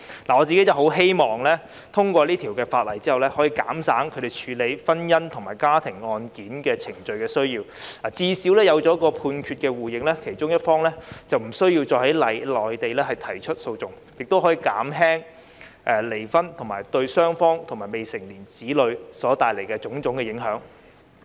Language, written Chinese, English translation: Cantonese, 我希望《條例草案》通過後，可以減少他們處理婚姻及家庭案件程序的需要；最少有了兩地判決互認安排，其中一方便不用再在內地提出訴訟，亦可減輕離婚對雙方及未成年子女所帶來的影響。, I hope that the passage of the Bill can reduce their need to undergo the legal procedure of matrimonial or family case . At least the other party does not need to re - litigate in the Mainland under the reciprocal recognition arrangement between the two places and the impact on both parties and their minor child brought about by divorce can also be lessened . Let me get back to the Bill